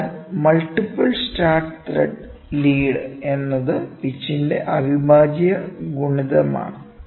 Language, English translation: Malayalam, So, multiple start thread are the lead is an integral multiple of the pitch